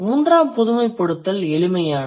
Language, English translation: Tamil, So, what is the first generalization